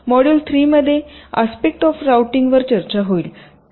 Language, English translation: Marathi, module three would discuss the various aspects of routing